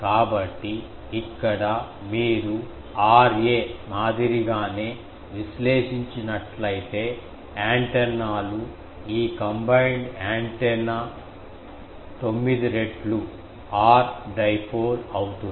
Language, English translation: Telugu, So, here if you analyze in the similar way that R a; the antennas this combined antenna that will be 9 times R dipole etc